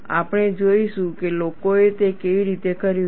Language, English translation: Gujarati, We will see how people have done it